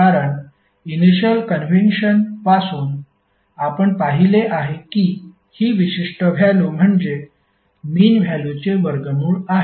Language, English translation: Marathi, Because from the initial convention we have seen that this particular value is nothing but root of square of the mean value